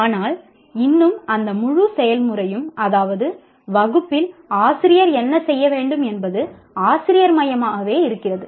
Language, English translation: Tamil, But still that entire process is teacher centric, what the teacher should be doing in the class